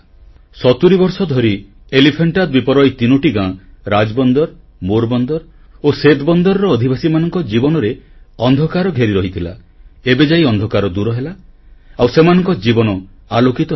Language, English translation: Odia, For 70 years, the lives of the denizens of three villages of the Elephanta Island, Rajbunder, Morbandar and Centabandar, were engulfed by darkness, which has got dispelled now and there is brightness in their lives